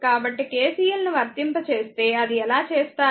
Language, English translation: Telugu, So, if you apply KCL look how how you will do it